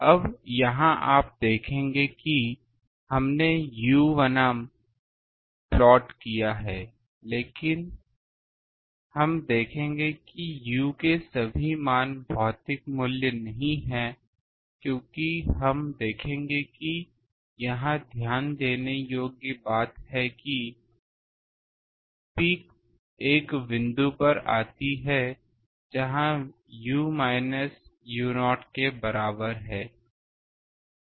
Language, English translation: Hindi, Now here you will see that we have plotted versus u, but we will see that this all values of u are not physical values because, by we will see that and the important thing to note from here is that the peak comes at a point where u is equal to minus u not